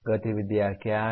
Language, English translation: Hindi, What are the activities